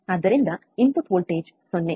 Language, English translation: Kannada, So, input voltage is 0